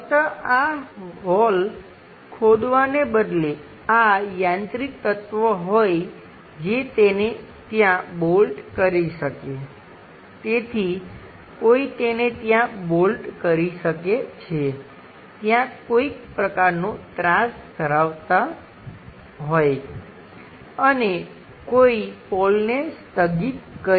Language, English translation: Gujarati, Instead of just digging the hole, having this mechanical element which one can bolt it at this level, so one can bolt it at this level bolt it this level having some kind of inclination, and one can really suspend a pole